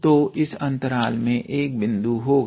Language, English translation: Hindi, So, this interval will have a point